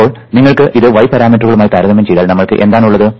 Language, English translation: Malayalam, but if you dont try to calculated the y parameters, they turn out to be all infinite